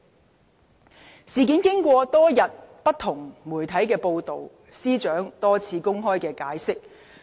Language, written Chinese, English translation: Cantonese, 僭建事件經過媒體多日報道，而司長亦已多番公開解釋。, The UBWs incident has been covered by the media for many days and the Secretary for Justice has repeatedly offered her explanation in public